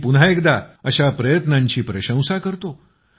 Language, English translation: Marathi, I once again commend such efforts